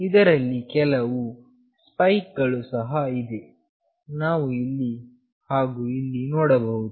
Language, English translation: Kannada, There are certain spikes as well we can see here and here